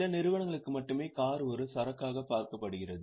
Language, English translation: Tamil, Only for certain companies car is an inventory